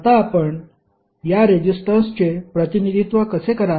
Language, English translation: Marathi, Now, how you will represent this resistance